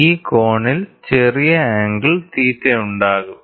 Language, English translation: Malayalam, So, there will be an angle small angle theta